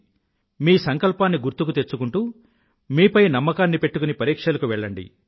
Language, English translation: Telugu, Keeping your resolve in mind, with confidence in yourself, set out for your exams